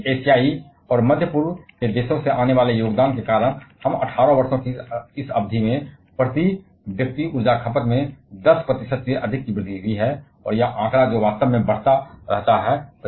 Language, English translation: Hindi, But because of the contribution coming from Asian and middle east countries, we have more than 10 percent increase in the per capita energy consumption over this period of 18 years, and that figure that actually that keeps on increasing